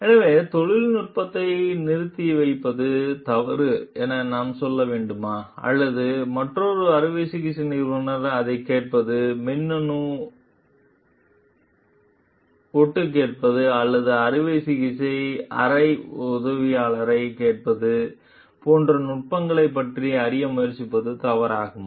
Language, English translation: Tamil, So, should we tell like withholding the technique is wrong, or like would it be wrong for another surgeon to try to like learn about the techniques come like eavesdrop into it electronic eavesdropping or asking an operating room assistant